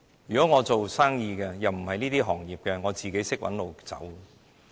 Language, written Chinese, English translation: Cantonese, 如果我是營商的，又不屬於這些行業，我自會找出路。, If I were a businessman operating a business outside the favoured industries I will naturally find a way out